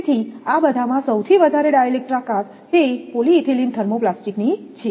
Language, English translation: Gujarati, So, di electric strength among all these, maximum is that polyethylene thermoplastic one